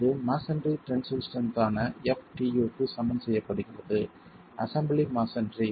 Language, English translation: Tamil, This is then equated to FTAU that is the tensile strength of masonry, the assembly masonry itself